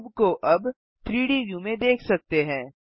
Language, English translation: Hindi, Now the cube can be seen in the 3D view